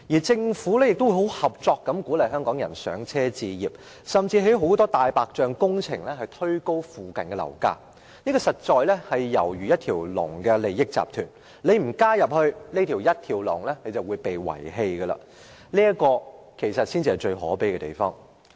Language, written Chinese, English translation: Cantonese, 政府亦十分合作地鼓勵香港人"上車"置業，甚至興建很多"大白象"工程，推高附近的樓價，猶如一條龍的利益集團，不加入這條龍的話，便會被遺棄；這才是最可悲的地方。, The Government on the other hand has also been cooperative by encouraging Hong Kong people to become first - time property owners . It has even gone further by taking forward a great deal of white elephant projects to push up the prices of properties in the vicinity as if it belongs to that through - train interest group . The saddest thing is that whoever not taking this through - train would be left behind